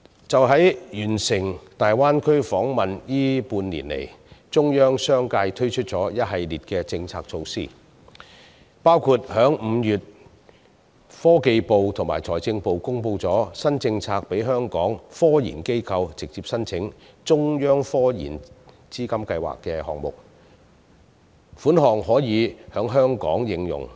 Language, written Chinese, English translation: Cantonese, 在完成大灣區訪問的這半年以來，中央相繼推出一系列政策措施，包括科技部及財政部於5月公布新政策，讓香港科研機構直接申請成為"中央科研資金計劃"項目，所得款項可在香港應用。, Over the past six months after the Delegations visit to the Greater Bay Area the Central Authorities have introduced a series of policy measures which include inter alia the new policy announced in May by the Ministry of Science and Technology and the Ministry of Finance for local scientific research institutions to directly apply for funding under science and technology projects with central fiscal assistance . The funding granted can also be used on related projects in Hong Kong